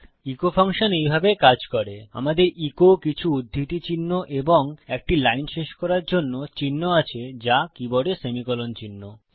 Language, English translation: Bengali, The echo function works like this: weve got echo, weve got some double quotes and weve got a line terminator which is the semicolon mark